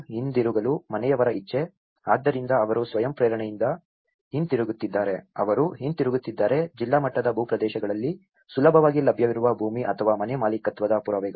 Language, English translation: Kannada, Willingness of household to return, so however, they are coming back with voluntarily they are coming back, evidence of land or house ownership which was readily available in district level cadastres